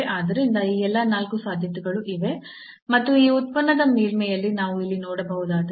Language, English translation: Kannada, So, all these four possibilities are there and if we can see here in the surface of this function